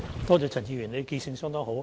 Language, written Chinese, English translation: Cantonese, 多謝陳議員，他的記性相當好。, I thank Mr CHAN for his question . He has a good memory